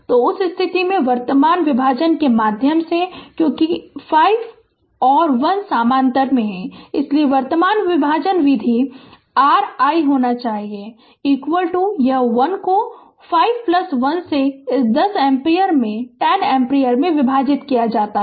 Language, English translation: Hindi, So, in that case through the current division because 5 and 1 are in parallel, so current division method your i should be is equal to this is 1 divided by 5 plus 1 right into this 10 ampere right into 10 ampere